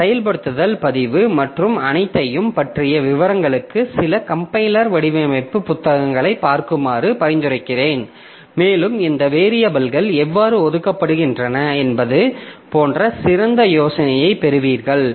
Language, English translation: Tamil, So, I would suggest that you look into some compiler design books for details about this activation record and all and you will get a better idea like how these variables are assigned